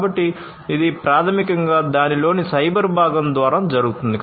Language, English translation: Telugu, So, this is basically done by the cyber component of it